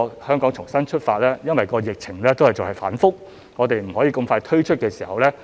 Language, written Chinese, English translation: Cantonese, "香港重新出發"因疫情反覆而未能盡快推出。, The Relaunch Hong Kong publicity campaign has not been expeditiously launched due to the volatile pandemic situation